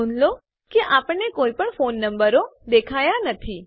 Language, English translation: Gujarati, Note that we dont see any phone numbers